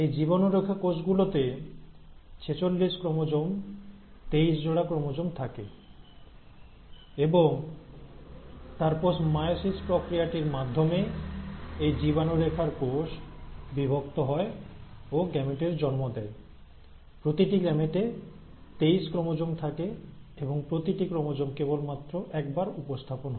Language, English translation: Bengali, So these germ line cells will contain forty six chromosomes or twenty three pairs and then through the process of meiosis, these germ line cells divide and they give rise to gametes, right, with each gamete having twenty three chromosomes, wherein each chromosome is now represented only once